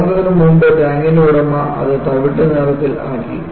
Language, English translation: Malayalam, Before the explosion, the tank's owner painted it brown